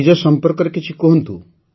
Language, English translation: Odia, Tell me about yourself